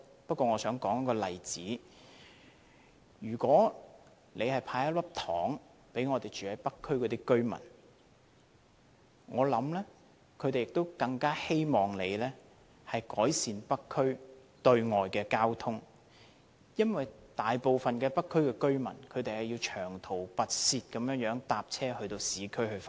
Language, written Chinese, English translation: Cantonese, 不過，我想舉一個例子，如果政府"派一粒糖"給北區的居民，我想他們更希望政府能改善北區對外的交通，因為大部分北區居民都要長途跋涉乘車往市區上班。, Instead I will give an example . If the Government hands out a candy to the residents of North District I believe they would rather the Government improve the outbound traffic of North District because the majority of local residents have to travel a long way to work